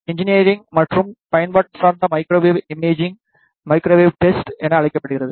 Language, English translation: Tamil, Engineering and application oriented microwave imaging is known as the microwave testing